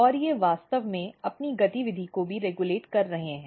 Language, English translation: Hindi, And they are actually regulating their activity as well